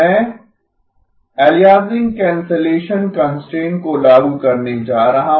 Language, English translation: Hindi, I am going to enforce the aliasing cancellation constraint